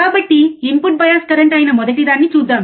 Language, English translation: Telugu, Now we already know input bias current